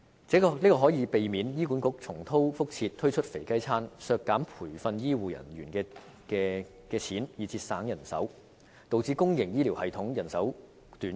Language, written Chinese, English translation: Cantonese, 這做法更可避免醫管局重蹈覆轍，推出"肥雞餐"，削減培訓醫護人員來節省人手，導致公營醫療系統人手短缺。, The setting up of this fund can prevent HA from committing the same mistake again of offering voluntary retirement packages to reduce the training of health care personnel in an attempt to save manpower thus resulting in a shortage of manpower in the public health care sector